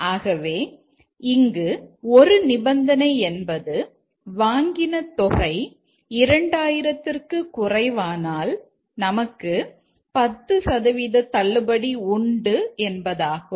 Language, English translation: Tamil, So, a condition here is that if the purchase is lower than 2,000, then we'll get if this is yes, then 10% discount